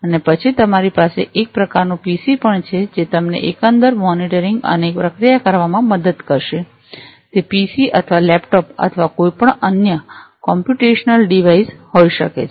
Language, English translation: Gujarati, And then you also have kind of PC, which will help you in the overall monitoring and processing it could be a PC or a laptop or, anything any other computational device